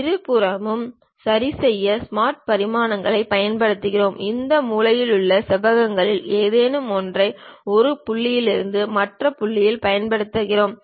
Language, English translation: Tamil, We use smart dimensions to adjust on both sides we use something like a any of these corner rectangle from one point to other point